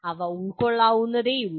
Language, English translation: Malayalam, They are comprehensible